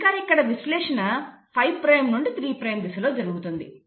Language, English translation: Telugu, And then this synthesis is happening in the 5 prime to the 3 prime direction